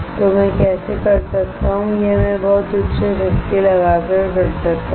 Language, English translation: Hindi, So, how can do I do this is by applying very high power